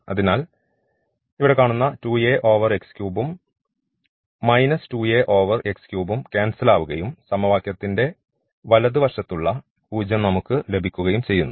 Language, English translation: Malayalam, So, that will cancel out and the we will get the 0 which is the right hand side of the equation